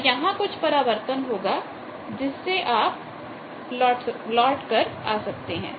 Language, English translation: Hindi, So, there will be reflection that you can plot